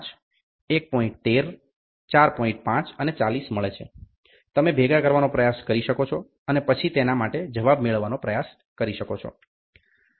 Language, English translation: Gujarati, 5 and 40 you can try to assemble and then try to get answer for it